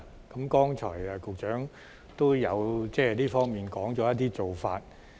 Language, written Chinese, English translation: Cantonese, 局長剛才也提到這方面的一些做法。, The Secretary has mentioned earlier some actions taken against this situation